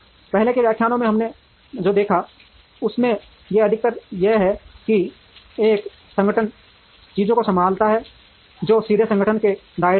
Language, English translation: Hindi, Most of what we saw in the earlier lectures have to do with how an organization handles things, which are directly within the scope of the organization